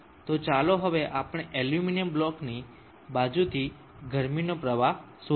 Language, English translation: Gujarati, So now let us calculate what is the heat flow out of the sides of the aluminum block